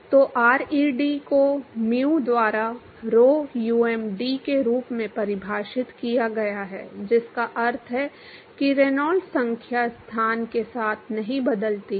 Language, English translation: Hindi, So ReD is defined as rho um D by mu, so which means that the Reynolds number does not change with the location